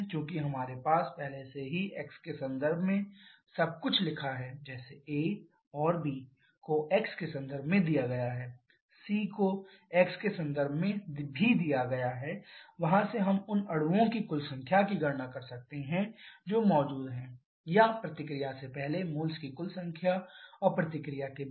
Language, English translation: Hindi, How can we do this because we already have everything written in terms of x like a bar and b bar is given in terms of x, c bar is also given in terms of x from there we can calculate the total number of molecules that is present or total number of moles rather before reaction and after reaction